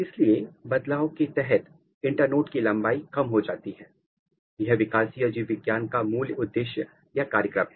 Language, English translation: Hindi, So, the internode length is reduced to do that it has to change; it’s the basic program of developmental biology